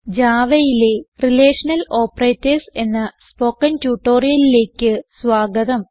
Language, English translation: Malayalam, Welcome to the spoken tutorial on Relational Operators in Java